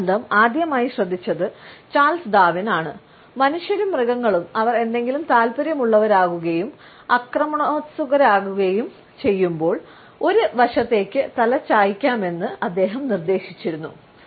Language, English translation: Malayalam, Charles Darwin was the first to note this association and he had suggested that human beings as well as animals tilt their heads to one side, when they become interested in something and are not aggressive